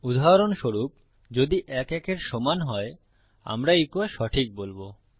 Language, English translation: Bengali, For example, if 1 equals 1 we say echo True